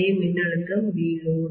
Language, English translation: Tamil, The same voltage is V load